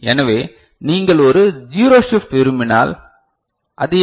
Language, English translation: Tamil, So, if you want to have a zero shift ok, so what is it